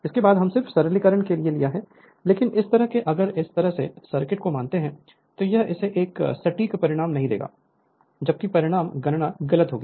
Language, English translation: Hindi, After that we are just for the simplification , but this kind of if you assume this kind of circuit it will give it will not give accurate result